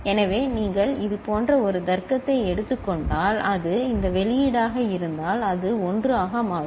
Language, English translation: Tamil, So, if you take a logic like this and then is this output, it will become 1